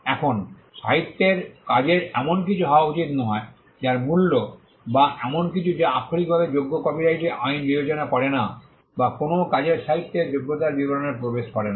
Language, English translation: Bengali, Now, the literary work need not be something that has value or something that has literally merit copyright law does not consider or does not get into the details of the literary merit of a work